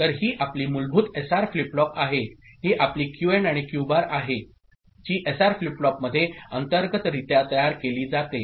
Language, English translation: Marathi, So, this is your basic SR flip flop, this is your Q and Q bar right which is generated internally in the SR flip flop